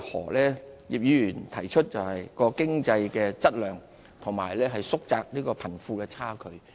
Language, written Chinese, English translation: Cantonese, 葉劉淑儀議員提出就是經濟的質量和縮窄貧富的差距。, In the view of Mrs Regina IP the objectives are to raise the quality of economy and narrow the wealth gap